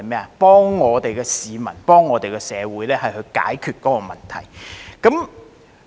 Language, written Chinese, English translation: Cantonese, 是幫助我們的市民和社會解決問題。, Its role is to help resolve peoples and societys problems